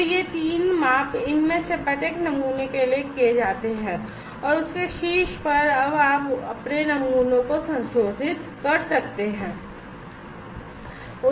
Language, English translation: Hindi, So, these three measurements are done for each of these samples and on top of that you can now modify your samples